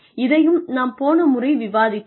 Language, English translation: Tamil, We discussed this last time also